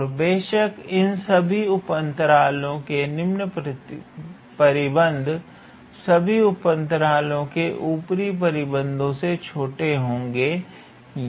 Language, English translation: Hindi, And of course, the lower bound on all of these subintervals will be lesser equal to the upper bound on all of these subintervals